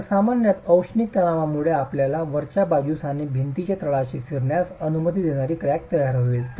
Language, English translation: Marathi, So, typically due to thermal strains you will have crack formed at the top and the bottom allowing rotations at the top and the bottom of the wall